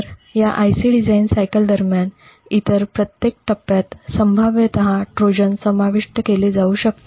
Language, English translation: Marathi, So, every other stage during this life's IC design cycle could potentially be spot where a Trojan can be inserted